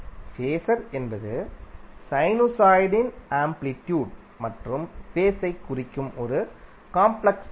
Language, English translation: Tamil, So how we will define phaser is a complex number that represents the amplitude and phase of sinusoid